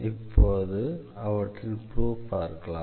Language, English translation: Tamil, So, let us give the proof of this